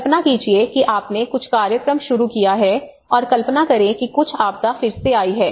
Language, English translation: Hindi, Imagine you have started some program and imagine some calamity have occurred again